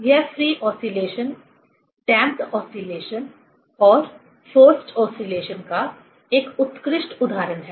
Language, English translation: Hindi, It is a classic example of free oscillation, damped oscillation, and forced oscillation